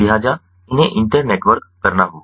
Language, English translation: Hindi, so they have to be internetworked